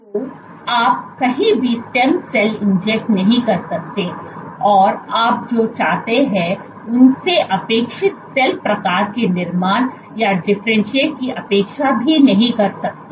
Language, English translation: Hindi, So, you cannot just inject stem cells anywhere and you expect them to form or differentiate into the appropriate cell type that you want